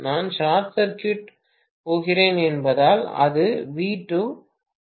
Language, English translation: Tamil, Because I am going to short circuit it V2 become 0